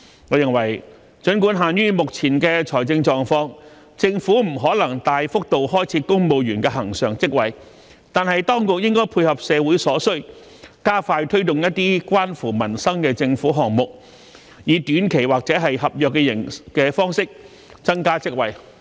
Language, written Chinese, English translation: Cantonese, 我認為儘管限於目前的財政狀況，政府不可能大幅度開設公務員常額職位，但當局應配合社會所需，加快推動一些關乎民生的政府項目，以短期或合約方式增加職位。, In my view given the current financial constraints though it is impossible for the Government to create a lot of permanent posts in the civil service the authorities should address the needs of society by expediting government projects related to peoples livelihood to create jobs on a short - term or contractual basis